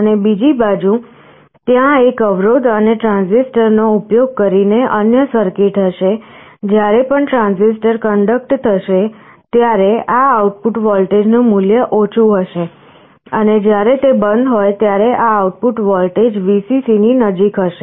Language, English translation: Gujarati, And on the other side, there will be another circuit using a resistance and this transistor, whenever the transistor is conducting this output voltage will be low, and when it is off this output voltage will be close to Vcc